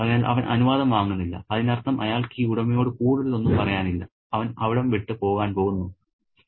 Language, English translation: Malayalam, So, he doesn't take permission which means he has nothing more to say to this owner and he is going to go away as if permanently